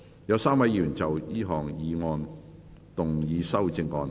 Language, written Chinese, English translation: Cantonese, 有3位議員要就這項議案動議修正案。, Three Members will move amendments to this motion